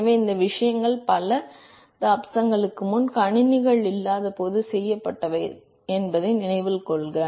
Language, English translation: Tamil, So, note that these things were done several decades ago when computers did not exist